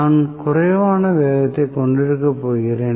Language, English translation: Tamil, So, I am going to have less and less speed